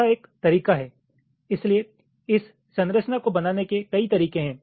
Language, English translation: Hindi, so there is so many ways you can create this structure